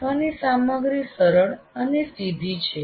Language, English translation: Gujarati, Learning material is fairly simple and straightforward